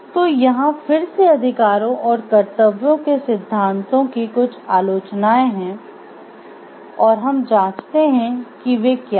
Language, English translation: Hindi, So, again so again there are certain criticisms of the rights and duties theories and let us check what they are